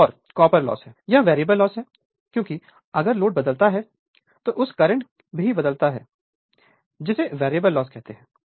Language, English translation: Hindi, Another is a copper loss it is a variable loss right because, if load changes, then your what you call that current changes so, it is a variable loss right